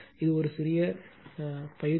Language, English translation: Tamil, This is a small exercise to you